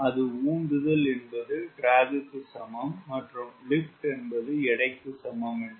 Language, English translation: Tamil, you know, thrust equal to drag, lift equal to weight